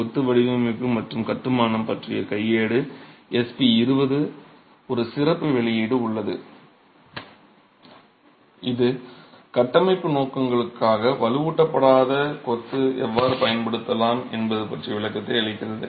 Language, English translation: Tamil, There is a handbook on masonry design and construction, SP20, it's a special publication, which gives a commentary on how unreinforced masonry can be used for structural purposes